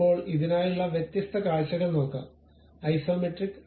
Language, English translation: Malayalam, Now, let us look at different views for this, the Isometric